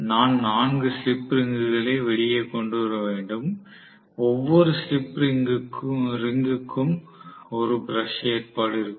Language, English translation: Tamil, So, I have to bring out first of all 4 slip rings and every slip ring will have a brush arrangement